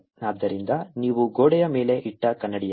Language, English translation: Kannada, so it's like a mirror you put on the wall